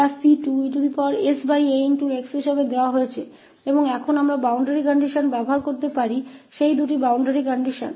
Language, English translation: Hindi, And now we can use the boundary conditions that two boundary condition